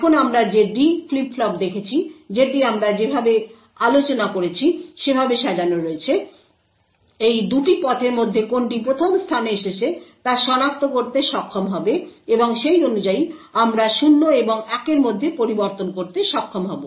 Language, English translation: Bengali, Now as we have seen the the D flip flop which is configured in the way that we have discussed would be able to identify which of these 2 paths has arrived 1st and correspondingly we will be able to switch between 0 and 1